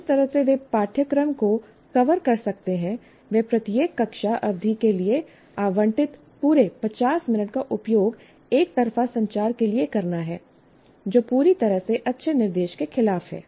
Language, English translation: Hindi, And the only way they can cover the syllabus is the entire 50 minutes that is allocated for each classroom period is used only for one way communication, which is totally against good instruction